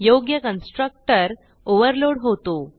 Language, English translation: Marathi, So the proper constructor is overloaded